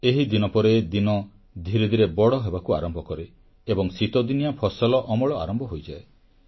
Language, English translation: Odia, It is during this period that days begin to lengthen and the winter harvesting of our crops begins